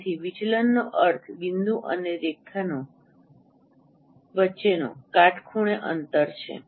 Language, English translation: Gujarati, So, deviation means the perpendicular distance between the point and the line